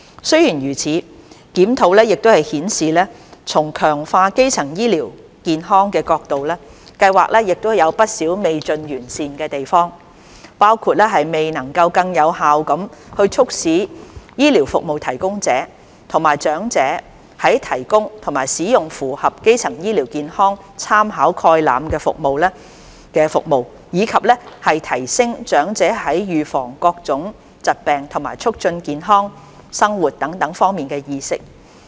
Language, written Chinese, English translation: Cantonese, 雖然如此，檢討亦顯示從強化基層醫療健康的角度，計劃有不少未盡完善的地方，包括未能更有效地促使醫療服務提供者及長者提供及使用符合基層醫療健康參考概覽的服務，以及提升長者在預防各種疾病和促進健康生活等方面的意識。, That said the review also showed that with respect to strengthening primary health care the Scheme still had room to improve in some areas including not yet being able to more effectively facilitate health care providers to provide and elders to use services which are in line with the Primary Healthcare Reference Framework and enhance elders awareness of prevention of various diseases and promote healthy living etc